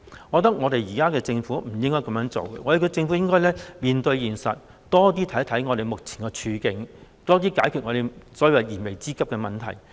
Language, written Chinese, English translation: Cantonese, 我認為現在的政府不應該這樣，政府應該面對現實，多些考慮市民目前的處境，多加解決燃眉之急的問題。, I think that the current - term Government should not act this way . The Government should face the reality and care more about the current situations of the people and do more to meet their pressing needs